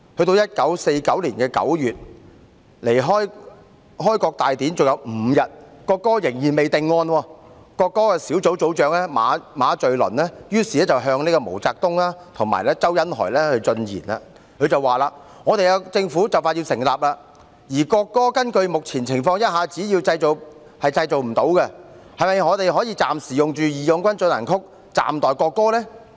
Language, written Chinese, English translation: Cantonese, 到1949年9月，距離開國大典還有5天，國歌仍未定案，國歌小組組長馬敘倫於是向毛澤東和周恩來進言："我們政府就要成立，而國歌根據目前情況一下子是製造不出來的，是否我們可暫時用'義勇軍進行曲'暫代國歌？, In September 1949 the national anthem still had not been decided when the founding ceremony of the Peoples Republic of China was just five more days away . MA Xulun the leader of a team for selecting the national anthem therefore said to MAO Zedong and ZHOU Enlai As our Government is about to be established and under the current circumstances the national anthem cannot be created in an instant should we temporarily adopt March of the Volunteers as the tentative national anthem?